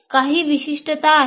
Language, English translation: Marathi, So there is some specificity